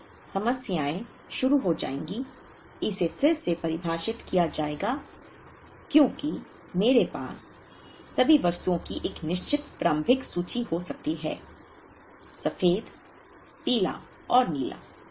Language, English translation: Hindi, So, the problems will begin, will be redefined as I have a certain initial inventory of all the items may be: the white, the yellow and the blue